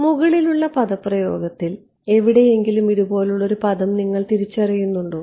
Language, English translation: Malayalam, Do you recognize a term like this up here somewhere in the expression above